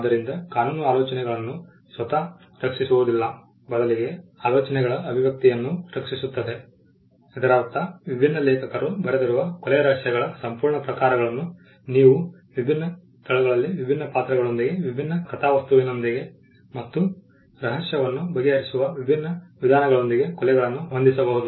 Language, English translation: Kannada, So, the law does not protect the ideas themselves rather the expression of the ideas which means you can have an entire genres of murder mysteries written by different authors setting the murder in different locations with the different characters with different plots and with different ways of solving the mystery